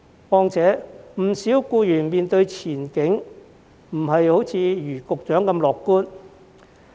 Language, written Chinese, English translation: Cantonese, 況且，不少僱員對前景並不如局長般樂觀。, Moreover many employees are not as optimistic about the future as the Secretary